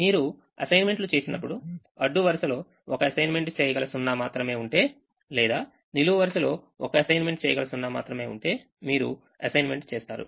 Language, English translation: Telugu, when you make assignments, if a row has only one assignable zero or a column has only one assignable zero, you will make the assignment